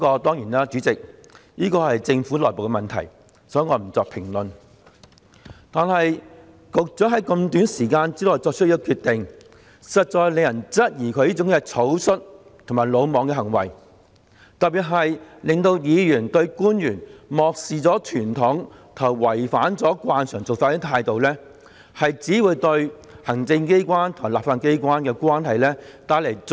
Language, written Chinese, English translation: Cantonese, 當然，主席，這是政府內部的問題，所以，我不作評論，但局長在這麼短的時間內作出這決定，實在讓人質疑他這行為草率和魯莽，特別是令議員不滿官員漠視傳統的態度，以及違反慣常的做法，這只會進一步惡化行政機關和立法機關的關係。, Of course President this is an internal problem of the Government so I do not intend to comment on it . But this decision which the Secretary made in a haste has prompted people to query whether he was acting carelessly and recklessly and has particularly caused Members discontent about government officials disregard for tradition and their modus operandi which runs against the conventional practices . This will simply result in further deterioration of the relationship between the executive authorities and the legislature